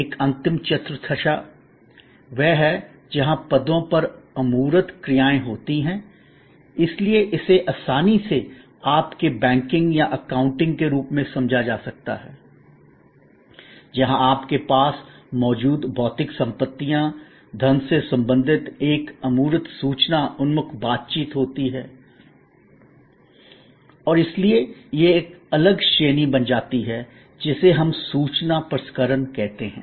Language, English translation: Hindi, A last quadrant is the one where intangible actions on positions, so this can be easily understood as your banking or accounting, where there is an intangible information oriented interaction related to material possessions or money that you have and therefore, that becomes a separate category, which we call information processing